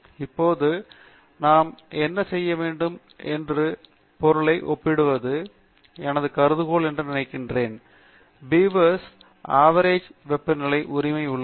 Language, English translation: Tamil, Now, what we want to do is also compare the means; that is suppose my hypothesis is that these two beavers have the same average temperature right